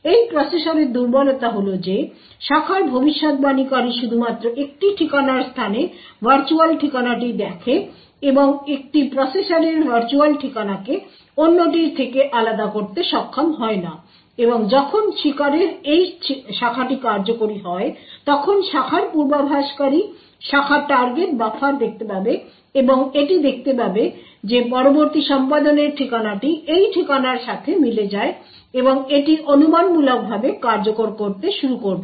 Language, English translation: Bengali, The vulnerability in this processor is that the branch predictor only looks at the virtual address in an address space and is not able to separate the virtual address of one process from and other process does when this branch in the victim also executes the branch predictor would look up its branch target buffer and it would find that the next address to be executed corresponds to this address and it would start to speculatively execute this